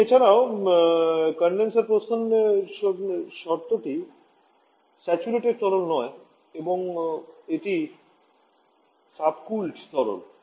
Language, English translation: Bengali, And also the condition exit condition is not of saturated liquid rather it is subcooled liquid